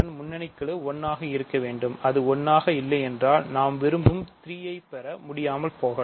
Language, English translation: Tamil, Here you see why I need the leading term to be 1 because if it is not 1 I may not be able to get 3 that I want